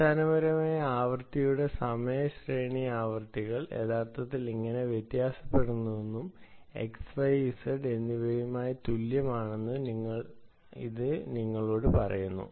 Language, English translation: Malayalam, essentially, its telling you that time series of the frequency, ok, how, the how the frequencies actually varying is the same with and x and y and z